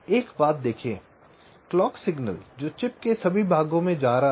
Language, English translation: Hindi, see one thing: we are talking about the clock signal which is going to all parts of the chip